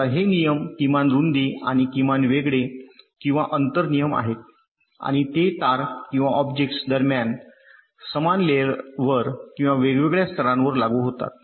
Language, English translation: Marathi, now these ah rules: they are typically minimum width and minimum separation or spacing rules and they apply between wires or objects on the same layer or across different layers